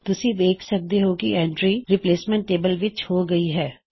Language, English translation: Punjabi, You see that the entry is made in the replacement table